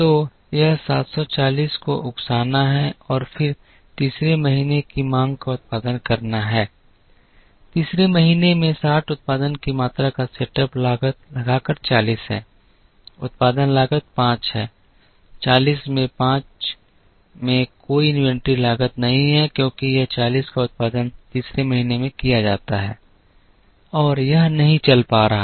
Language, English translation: Hindi, So, this is to incur the 740 and then produce the demand of the third month, in the third month by incurring a setup cost of 60 quantity produced is 40, production cost is 5, 40 into 5 there is no inventory cost here because this 40 is produced in the third month and it is not carrying